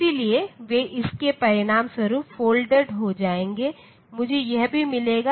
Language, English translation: Hindi, So, they will get folded as a result, I will also get this